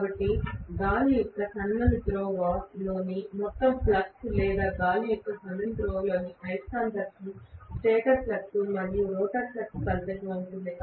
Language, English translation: Telugu, So the overall flux in the air gap or magnetism in the air gap is resultant of the stator flux and rotor flux